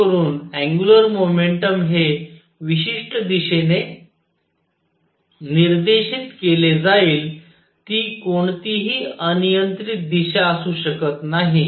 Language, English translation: Marathi, So that the angular momentum is pointing in certain direction it cannot be any arbitrary direction